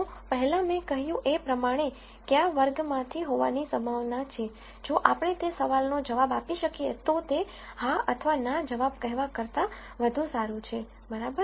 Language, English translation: Gujarati, So, as I mentioned before the probability of something being from a class, if we can answer that question, that is better than just saying yes or no answers, right